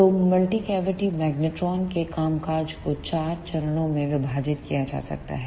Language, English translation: Hindi, So, the working of multi cavity magnetron can be divided into four phases